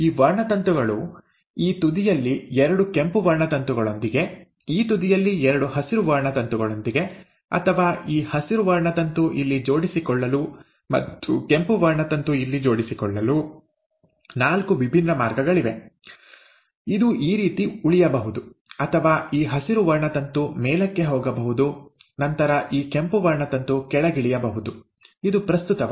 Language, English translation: Kannada, There are four different ways in which these chromosomes can arrange themselves with two red chromosomes on this end, two green chromosomes on this end, or, this green chromosome arranges here, and the red chromosome arranges here, while this remains this way, or, it is this green chromosome going up, and then this red chromosome going down, it does not matter